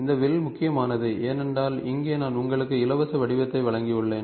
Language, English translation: Tamil, So, arc is important because here I am given you the free form, free formness